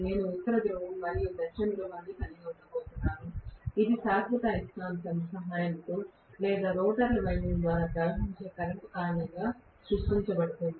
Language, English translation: Telugu, I am going to have a North Pole and South Pole which is actually created either with the help of the permanent magnet or because of the current flowing through the rotor windings